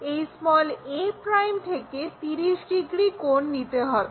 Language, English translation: Bengali, We have to take 30 angle from a'